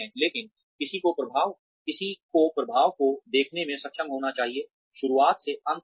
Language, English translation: Hindi, But, one should be able to see the effects, from beginning to end